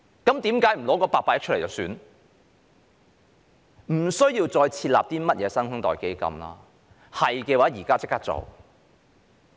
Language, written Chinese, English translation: Cantonese, 根本不需要再設立甚麼"新生代基金"，要做現在便可立即做到。, We basically do not need to set up any New Generation Fund and can invest in our new generation right away